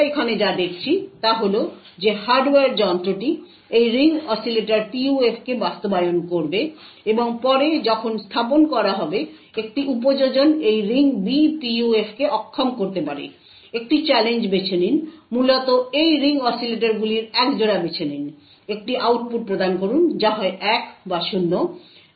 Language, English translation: Bengali, What we see over here is that the hardware device would implement this Ring Oscillator PUF and later when deployed, an application could unable this ring was B PUF, choose a challenge, essentially choose a pair of these ring oscillators, provide an output which is either 1 or 0